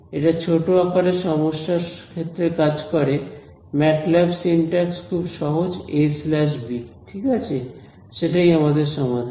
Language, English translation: Bengali, This works in you know sort of reasonably small size problems the MATLAB syntax is very simple a slash b right that is what we achieve a solution